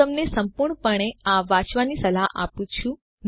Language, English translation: Gujarati, I advise you to read this thoroughly